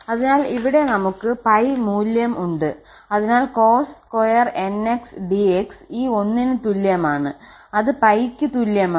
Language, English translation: Malayalam, So, here we have the value pi so cos square nx dx is equal to this one and is equal to pi